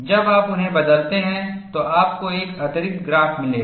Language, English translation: Hindi, When you change them, you will get one additional graph